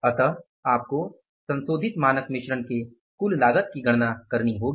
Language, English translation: Hindi, So, this is the standard cost of revised standard mix